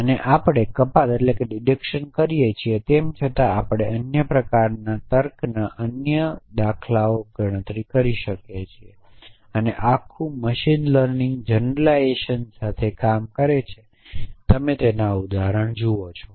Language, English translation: Gujarati, And we do deduction we though other forms of reasoning all the kind we do for example, generalization the whole machine learning community is occupied with generalization you look at examples from that